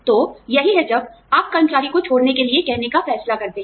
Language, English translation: Hindi, So, that is when, you decide to ask, the employee to leave